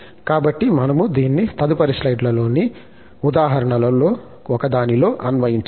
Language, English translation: Telugu, So, we can apply this in one of the examples in the next slide